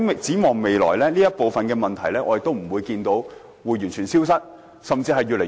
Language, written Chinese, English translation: Cantonese, 展望未來，我相信這些問題不會完全消失，甚至會越來越多。, Looking ahead I believe these problems will not disappear completely but more and more problems may arise instead